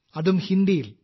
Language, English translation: Malayalam, And that too in Hindi